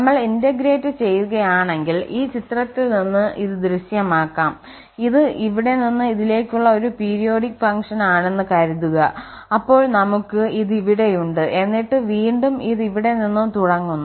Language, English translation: Malayalam, This is this can be visualize from this figure so if we are integrating suppose this is a periodic function here from here to this then we have this here and then again this starts from here and so on